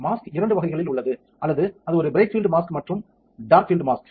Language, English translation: Tamil, Mask are of two types either it is bright field mask or a dark field mask